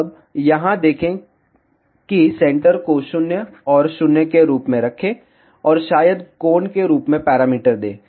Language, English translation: Hindi, Now, see here just keep center as 0, and 0, and maybe give the parameter as angle